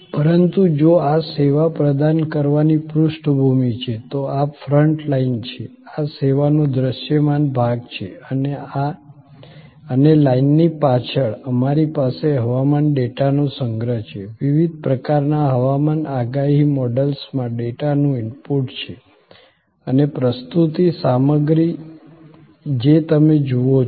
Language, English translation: Gujarati, But, if the background to provide this service, so this is the front line, this is the visible part of the service and behind the line, we have collection of weather data, input of the data into various kinds of weather forecast models and creating the presentation material, which is what you see